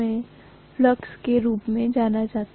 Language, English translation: Hindi, So that is known as remnant flux